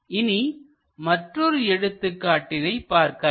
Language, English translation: Tamil, Let us look at other example